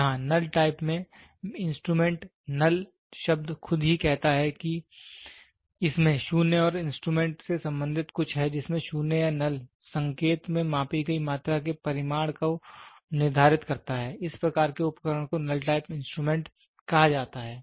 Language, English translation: Hindi, Here in null type, the instrument is the word null itself says it has something to be related to 0 and instrument in which 0 or null in indication determines the magnitude of the measured quantity such that such type of instrument is called as null type instruments